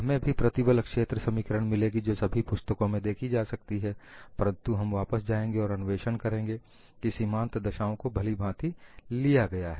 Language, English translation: Hindi, You would also get the stress field equation which is seen in every book, but we will again go back and investigate whether the boundary conditions were properly handled